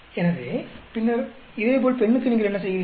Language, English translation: Tamil, So, and then similarly for the female, what you do